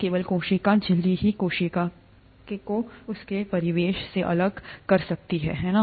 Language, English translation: Hindi, Only the cell membrane distinguishes the cell from its surroundings, right